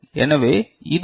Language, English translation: Tamil, So, this is your Vi